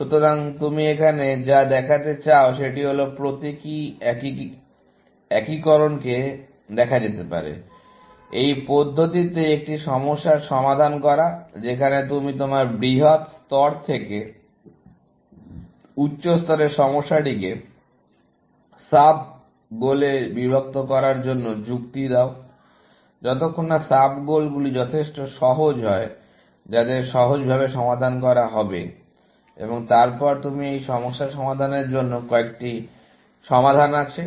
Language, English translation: Bengali, So, what you want to show here, is that symbolic integration can be seen, as solving a problem in this manner where, you reason from your large level, higher level problem to break it down into sub goals, till sub goals are simple enough, to be solved trivially, and then, you have a solution for solving this problem